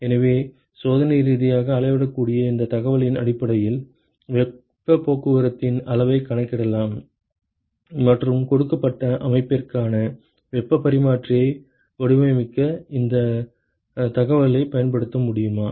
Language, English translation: Tamil, So, based on this experimentally measurable information can we quantify the extent of heat transport and can we use that information to design, design heat exchanger for a given system